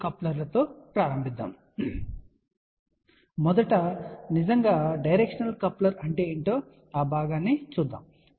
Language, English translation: Telugu, So, first of all what is really a directional coupler let me just explain that part